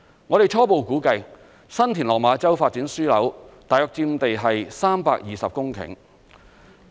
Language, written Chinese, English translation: Cantonese, 我們初步估計，新田/落馬洲發展樞紐大約佔地320公頃。, According to our preliminary estimate the San TinLok Ma Chau Development Node occupies about a site of 320 hectares